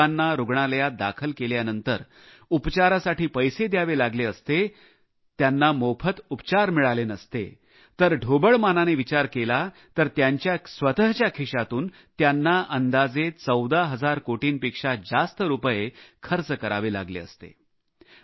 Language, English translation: Marathi, If the poor had to pay for the treatment post hospitalization, had they not received free treatment, according to a rough estimate, more than rupees 14 thousand crores would have been required to be paid out of their own pockets